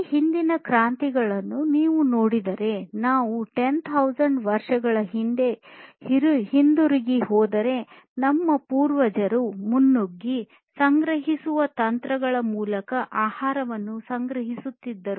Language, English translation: Kannada, So, if you look at revolutions in the past earlier if we go back more than 10,000 years ago, our predecessors used to collect food through foraging techniques